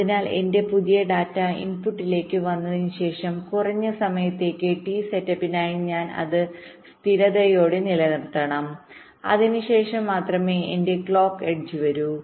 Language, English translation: Malayalam, so after my new data has come to the input, i must keep it stable for a minimum amount of time: t set up only after which my clock edge can come